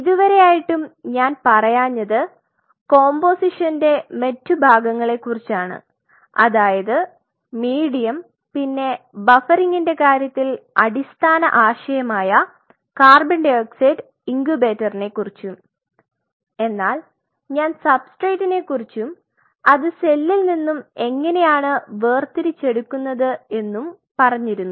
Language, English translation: Malayalam, So, what I have not told you as of now is this other part composition what is that medium this I have not told you, co 2 incubator fundamental concept in terms of the buffering I have not told you, but I have told you about a substrate and how you are isolating the cells